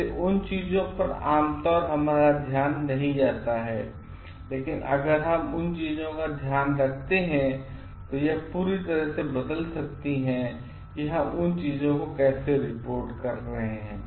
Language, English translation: Hindi, So, those things are generally not noticed by us, but also if we take care of those things, it can completely change how we are reporting things